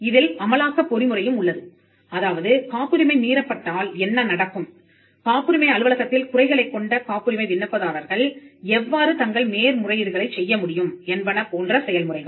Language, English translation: Tamil, And you also have an enforcement mechanism, what happens if the patent is infringed, how can patent applicants who have a grievance at the patent office agitated in appeal